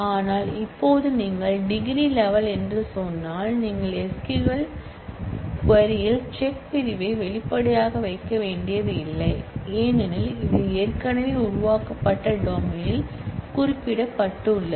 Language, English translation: Tamil, So, now if you say degree level you do not have to put check clause explicitly in the SQL query, because it is already specified in the created domain